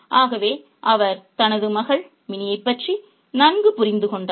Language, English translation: Tamil, But he does have a very good understanding of his daughter Minnie